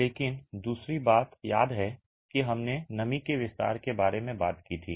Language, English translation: Hindi, But the other thing is, remember we talked about moisture expansion